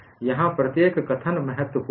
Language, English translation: Hindi, Every statement here is important